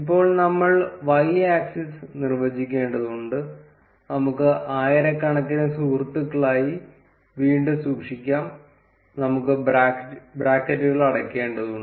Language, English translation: Malayalam, Similarly, we need to define the y axis, let us keep it as friends again in thousands; we need to close the brackets